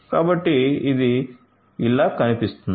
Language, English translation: Telugu, So, this is how it looks like